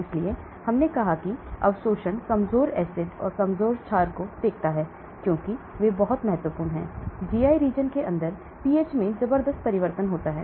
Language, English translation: Hindi, So we said absorption looked at the weak acids and weak bases because they are very, very important the pH inside the GI region changes tremendously